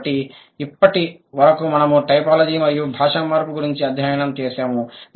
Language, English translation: Telugu, So, that's all about typology and language change that we have studied so far